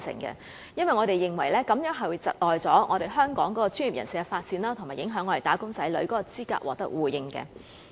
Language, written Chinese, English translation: Cantonese, 因為我們認為這樣會窒礙香港專業人士的發展，以及影響"打工仔女"的資格獲得互認。, To me the removal will hinder the development of Hong Kongs professionals and affect the recognition of the qualifications of our wage earners in the Mainland